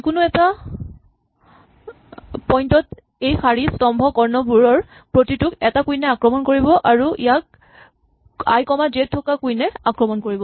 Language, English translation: Assamese, So, at any given point each one of these rows columns and diagonals is attacked by a single queen and it must be attacked by the queen at i comma j